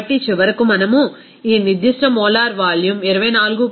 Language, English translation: Telugu, So, we can say that finally, we can get this specific molar volume of 24